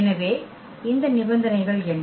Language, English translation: Tamil, So, what are these conditions